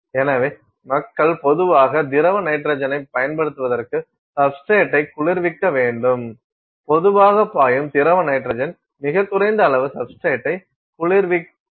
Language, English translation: Tamil, So, you need to cool the substrate, to do that people typically use liquid nitrogen; slowly flowing liquid nitrogen very small amounts you keep flowing to keep the substrate cooled